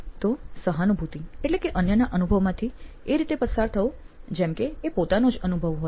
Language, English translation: Gujarati, So, empathy is about going through somebody else's experience as if it were your own